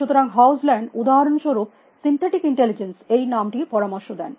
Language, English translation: Bengali, So, hogiland for example, suggest that you could call it synthetic intelligence